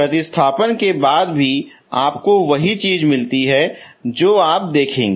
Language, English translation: Hindi, Even after substituting you get the same thing